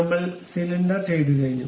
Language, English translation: Malayalam, So, cylinder is done